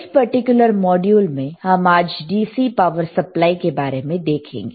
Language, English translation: Hindi, Today in this particular module, let us see the DC power supply